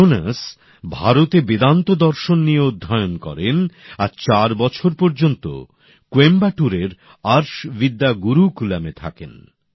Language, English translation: Bengali, Jonas studied Vedanta Philosophy in India, staying at Arsha Vidya Gurukulam in Coimbatore for four years